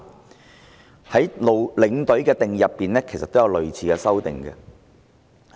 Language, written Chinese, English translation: Cantonese, "陸議員對領隊的定義，亦作出類似的修訂。, Mr LUK also makes a similar amendment to the definition of a tour escort